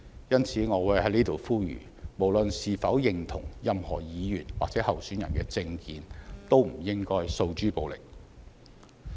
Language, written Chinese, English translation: Cantonese, 因此，我在此呼籲，無論是否認同任何議員或候選人的政見，都不應該訴諸暴力。, Hence I hereby urge all people to stop resorting to violence regardless of whether they agree with the political views of a Member or a candidate